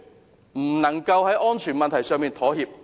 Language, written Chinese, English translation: Cantonese, 絕不能在安全問題上妥協。, No compromise must be made in respect of safety